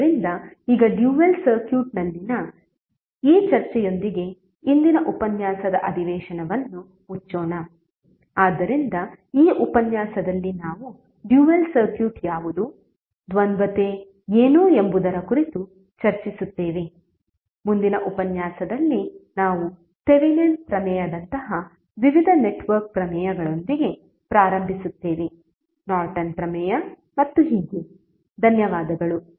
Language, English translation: Kannada, So now with this discussion on the dual circuit let us close the session of todays lecture, so in this lecture we discuss about what is the dual circuit, what is duality, in the next lecture we will start with various network theorems like Thevenin’s theorem, Norton’s theorem and so on, thank you